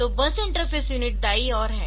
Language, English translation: Hindi, So, bus interface unit is on this right side